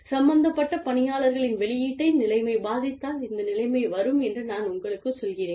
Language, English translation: Tamil, I am just telling you, that this situation, if the situation affects, the output of the people, involved